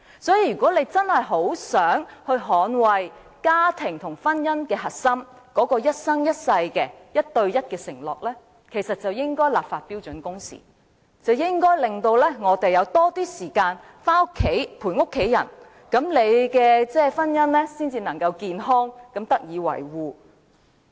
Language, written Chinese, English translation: Cantonese, 所以，如果大家真的很想捍衞家庭和婚姻的核心、那種一生一世、一對一的承諾，其實便應該就標準工時立法，令我們有較多時間陪伴家人，那麼婚姻才能健康地得以維護。, So if Members genuinely wish to defend family and the core of marriage or the vow for marrying one person for a lifetime actually legislation should be enacted on standard working hours so that we can spend more time with our family and only in this way can marriage be maintained in a healthy state